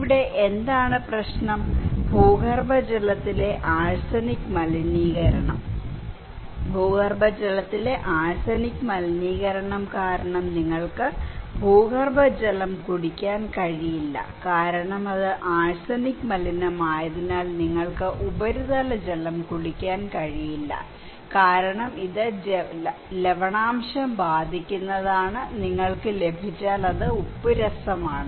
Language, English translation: Malayalam, What is the problem here is that arsenic contamination of groundwater so, arsenic contamination of groundwater you cannot drink the groundwater because it is contaminated by arsenic and you cannot drink surface water because it is saline affected by salinity, is the kind of salty if you get, you will get dysentery, diarrhoea and other health problem